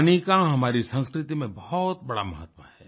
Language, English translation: Hindi, Water is of great importance in our culture